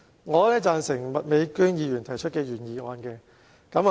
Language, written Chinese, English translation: Cantonese, 我贊成麥美娟議員提出的原議案。, I agree with the original motion proposed by Ms Alice MAK